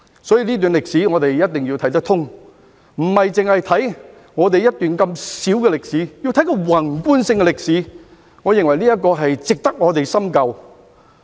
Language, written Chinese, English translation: Cantonese, 所以，這段歷史，我們一定要看得通，不單看我們這段如此小的歷史，而是看宏觀性的歷史，我認為這值得我們深究。, Therefore we must understand this period of history thoroughly . We should look at not only this brief history of ours but we should look at the macro history and this I think warrants our in - depth studies